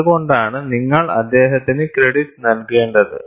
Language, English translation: Malayalam, That is why you have to give him credit